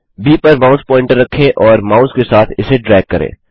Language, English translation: Hindi, I will choose B Place the mouse pointer on B and drag it with the mouse